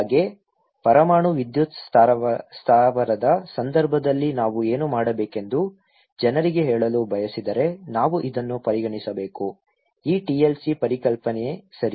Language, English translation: Kannada, Like, in case of nuclear power plant that if we want to tell people what should be done, we should can consider this; this TLC concept okay